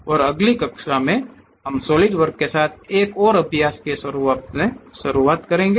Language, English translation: Hindi, And in the next class, we will begin with Solidworks as a practice thing